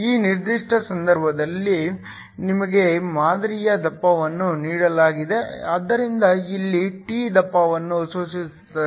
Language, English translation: Kannada, In this particular case, we have been given the thickness of the sample so t here refers to the thickness